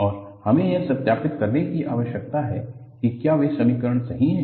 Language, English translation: Hindi, And, we need to verify whether those equations are correct